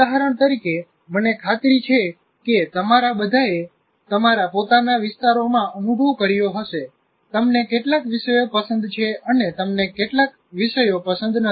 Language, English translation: Gujarati, For example, I'm sure all of you experience in your own areas, you like some subjects, you don't like some subjects